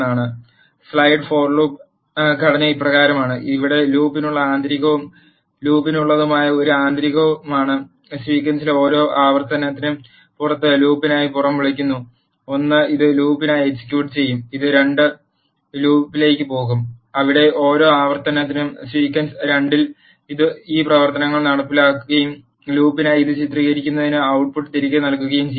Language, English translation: Malayalam, The structure of the nested for loop is as follows, the for loop here is an inner for loop and the for loop, outside is called outer for loop for every iter 1 in the sequence 1 this for loop will get executed , it will go to the for loop 2 where it will perform this operations on sequence 2 for every iter 2 and return the output to illustrate this for loop